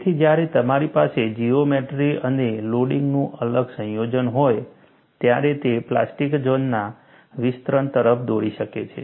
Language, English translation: Gujarati, So, when you have a different combination of geometry and loading, it could lead to expansion of the plastic zone; so, the plastic zone is not confined